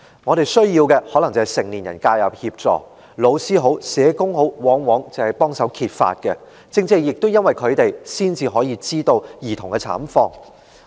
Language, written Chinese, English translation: Cantonese, 他們需要的可能是成年人介入協助，而老師或社工往往是協助揭發的人，亦正正因為他們，我們才能知悉兒童的慘況。, What they need is probably adult intervention and assistance . Indeed teachers or social workers are often the ones who help to reveal the cases . It is because of them that we can learn about the plight of those children